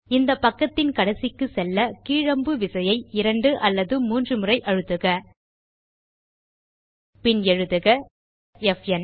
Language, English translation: Tamil, Press the down arrow key two or three times to go to the end of this page